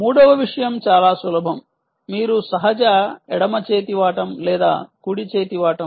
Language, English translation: Telugu, third thing, very simple: are you a natural left hander or a right hander